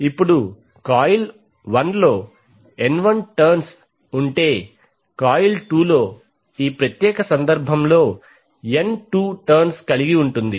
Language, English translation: Telugu, Now if coil 1 has N1 turns and coil 2 has N2 turns for this particular case